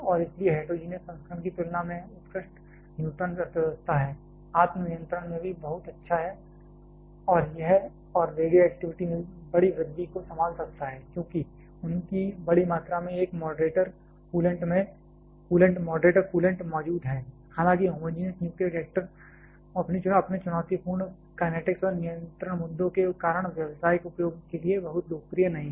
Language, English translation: Hindi, And therefore, there is excellent neutron economy compared to heterogeneous version there also very good in self controlling and can handle large increase in radioactivity, because of their large volume of a moderator coolant present said this; however, homogenous nuclear reactors are not very popular for commercial use because of their challenging kinetics and control issues